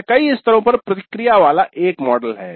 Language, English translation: Hindi, It is a model with feedbacks at multiple levels